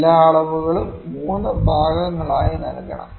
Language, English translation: Malayalam, All the measurements should be given in 3 parts